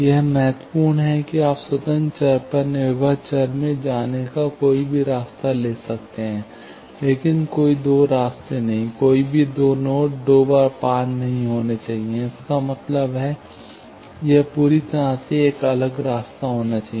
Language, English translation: Hindi, This is important that, you can take any path from going to the independent variable to dependent variable, but no two paths, no two nodes should be traversed twice; that means, it should be completely a different path